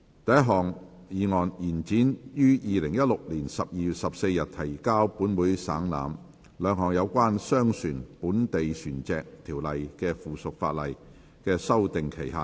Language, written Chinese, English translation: Cantonese, 第一項議案：延展於2016年12月14日提交本會省覽，兩項有關《商船條例》的附屬法例的修訂期限。, First motion To extend the period for amending two items of subsidiary legislation in relation to the Merchant Shipping Ordinance which were laid on the Table of this Council on 14 December 2016